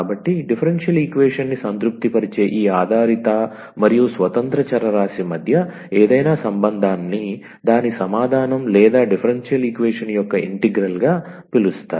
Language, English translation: Telugu, So, any relation between this dependent and independent variable which satisfies the differential equation is called a solution or the integral of the differential equation